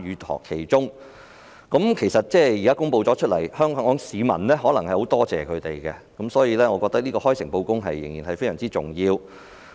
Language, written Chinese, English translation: Cantonese, 當局作出公布後，香港市民可能會感謝他們，所以，開誠布公十分重要。, After making the announcement Hong Kong people may thank these corporations . Thus it is very important to be frank and transparent